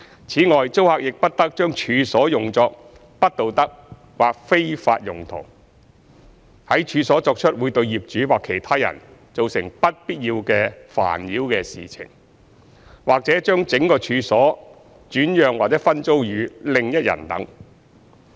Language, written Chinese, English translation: Cantonese, 此外，租客亦不得將處所用作不道德或非法用途、在處所作出會對業主或其他人造成不必要的煩擾的事情，或將整個處所轉讓或分租予另一人等。, In addition the tenant must not use the premises for any immoral or illegal purpose; do anything on the premises that would cause any unnecessary annoyance to the landlord or any other person; nor assign or underlet the whole of the premises to another person etc